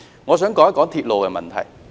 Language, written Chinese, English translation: Cantonese, 我想談談鐵路的問題。, I would like to talk about the railway issue